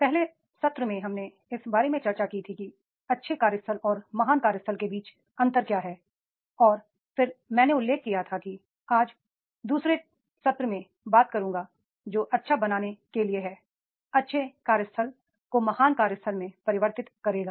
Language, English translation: Hindi, So, in first session we have discussed about that is the what is the difference between the good workplace and the great workplace and then I mentioned that is I will talk today in the second session that is how to create the good convert the good workplace to the great workplace